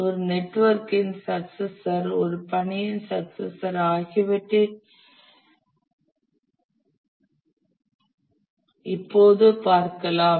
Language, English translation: Tamil, We now look at the successor of a network, successor of a task